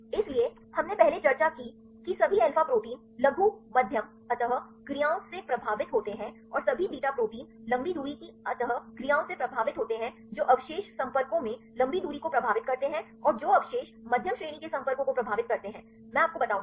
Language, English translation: Hindi, So, we discussed earlier all alpha proteins are influenced with the short medium interactions right and all beta proteins with the long range interactions which residues influence long range in the contacts and which residues influence medium range contacts right I will tell you